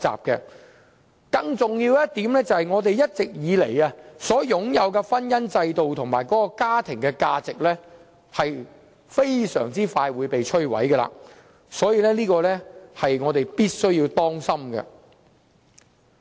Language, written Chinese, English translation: Cantonese, 更重要的一點，就是我們一直以來擁有的婚姻制度和家庭價值將會被迅速摧毀，這方面是我們要當心的。, More importantly the institution of marriage and family values we have all along been upholding will be destroyed quickly . We must be careful about this